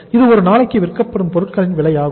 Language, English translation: Tamil, This is the cost of goods sold per day